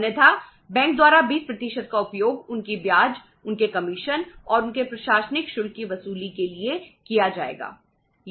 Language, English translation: Hindi, Otherwise that 20% will be used by the bank to recover their interest, their commission and their administrative charges